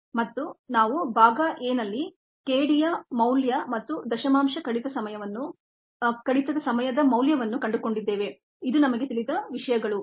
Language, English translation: Kannada, and also we found in part a the value of k d and the value of the decimal reduction time